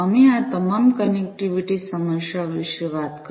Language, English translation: Gujarati, So, we have talked about all of these connectivity issues